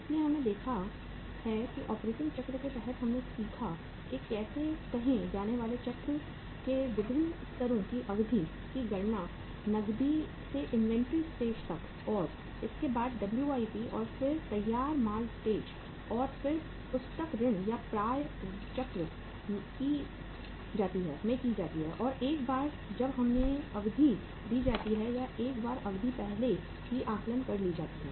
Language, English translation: Hindi, So we have seen that under the operating cycle we learnt that how to calculate the duration of different levels of say operating cycle that is from the cash to the inventory stage and then to the WIP and then to the finished goods stage and then to the book debts or the receivables stage and once we are given the duration or once the duration is already worked out